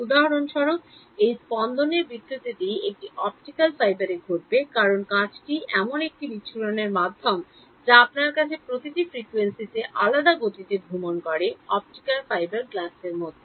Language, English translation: Bengali, This pulse distortion for example, will happen in an optical fibre because glass is a dispersive medium you have optical fibre glass every frequency travels in a different speed